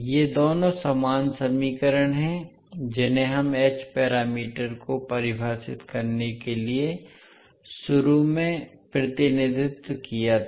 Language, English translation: Hindi, So these two are the same equations which we represented initially to define the h parameters